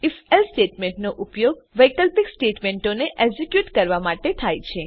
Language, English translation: Gujarati, If...Else statement is used to execute alternative statements